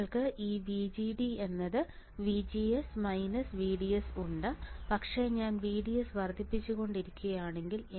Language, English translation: Malayalam, You have this VGD equals to VGS minus VDS, but if I keep on increasing VDS